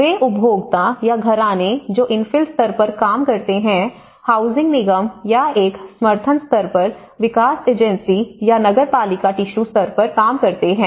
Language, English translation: Hindi, The consumer or households they act on infill level, the housing corporation or a development agency on a support level or the municipality works on a tissue level